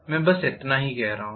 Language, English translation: Hindi, That is all I am saying